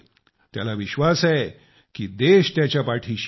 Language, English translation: Marathi, They feel confident that the country stands by them